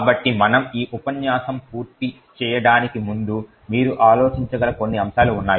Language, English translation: Telugu, So, before we complete this lecture there is some points that you can think about